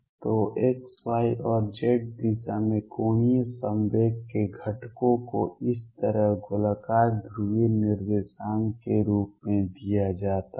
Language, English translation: Hindi, So, the components of angular momentum in x y and z direction are given in terms of spherical polar coordinates like this